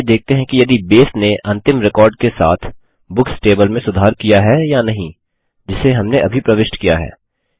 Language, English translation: Hindi, Let us see if Base has updated the Books table with the last record we entered just now